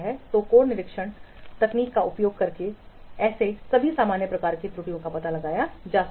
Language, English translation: Hindi, So those types of errors also can be detected by code inspection